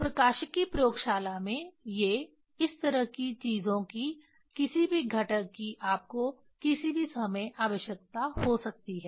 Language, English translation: Hindi, In the optics lab these are the, these kind of things any times you may need any components